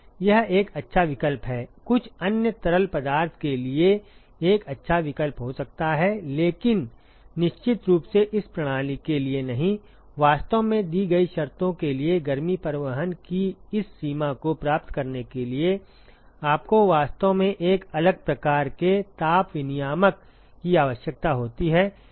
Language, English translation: Hindi, It is a good choice may be a good choice for some other fluid, but definitely not for this system; you really need a different type of heat exchanger to actually achieve this extent of heat transport for the conditions that is given